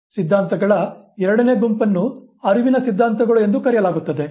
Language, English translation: Kannada, The second set of theories are called cognitive theories